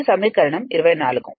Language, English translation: Telugu, So, this is equation 24